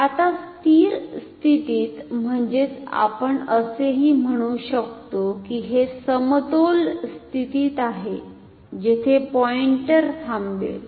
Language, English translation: Marathi, Now, at steady state; that means, we can also say that this is at equilibrium state where the pointer stops